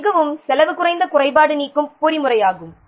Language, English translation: Tamil, This is a very cost effective defect removal mechanism